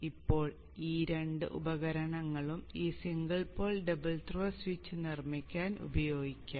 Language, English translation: Malayalam, Now these two devices can be used to make up this single pole double throw switch